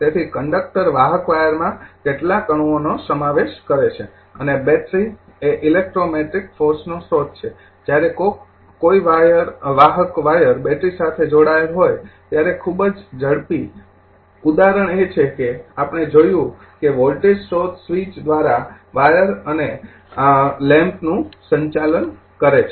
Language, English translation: Gujarati, So, conductor conducting wire consist of several atoms and a battery is a source of electrometric force, when a conducting wire is connected to a battery the very fast example what we saw that voltage source is switch, conducting wires and a transient lamp right